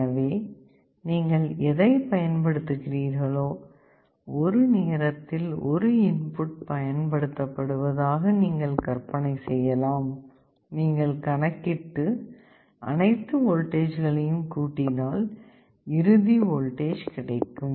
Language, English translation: Tamil, So, whatever you are applying you may imagine that one input is being applied at a time, you calculate, add all the voltages up you will be getting the final voltage